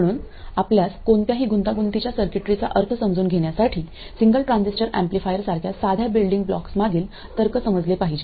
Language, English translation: Marathi, So, in order for you to make sense of any complicated circuitry, you have to understand the logic behind the simple building blocks such as single transistor amplifiers